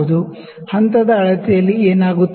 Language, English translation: Kannada, In step measurement what happens